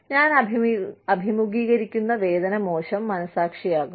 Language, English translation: Malayalam, The pain, I will face is, bad conscience